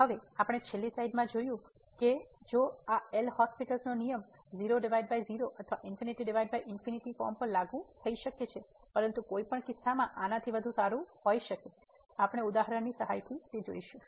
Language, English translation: Gujarati, Now, as we have seen in the last slide that although this L’Hospital rule can be apply to 0 by 0 or infinity by infinity form, but 1 may be better in a particular case this we will see with the help of example in a minute